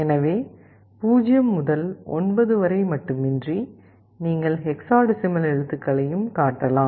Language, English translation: Tamil, So, in addition to 0 to 9, you can also display the hexadecimal characters